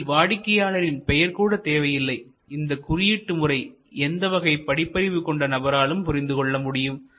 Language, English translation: Tamil, The client name is not even needed and the coding system is suitable for people of all literacy level